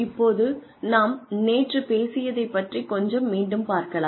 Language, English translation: Tamil, So, let us revise a little bit about, what we talked about yesterday